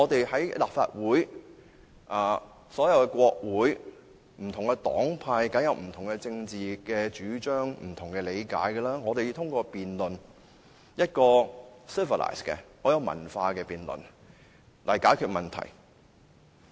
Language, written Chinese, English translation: Cantonese, 在立法會及所有國會，不同黨派當然有不同的政治主張、理解，要通過一個很有文化的辯論來解決問題。, In the Legislative Council or all CongressesParliaments different political parties definitely have different political stances and understanding problems have to be resolved through a very civilized debate